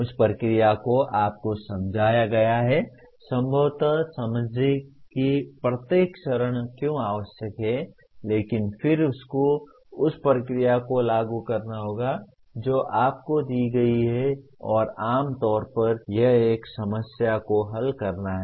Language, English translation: Hindi, That procedure is explained to you, possibly understand why each step is necessary but then you have to apply the procedure that is given to you and generally it is to solve a problem